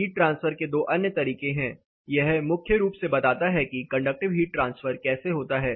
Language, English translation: Hindi, There are two other modes of heat transfer this is primarily for how conductive heat transfer happens